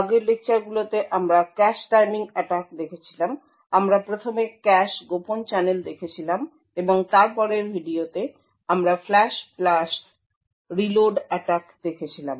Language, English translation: Bengali, In the previous lectures we have been looking at cache timing attacks, we had looked at the cache covert channel first and then in the later video we had looked at the Flush + Reload attack